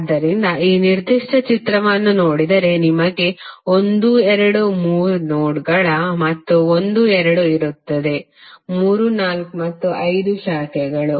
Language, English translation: Kannada, So in this particular figure if you see you will have 1, 2, 3 nodes and 1,2,3,4 and 5 branches